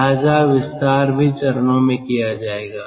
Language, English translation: Hindi, so the expansion will also be done in stages